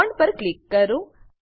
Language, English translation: Gujarati, Click on the bond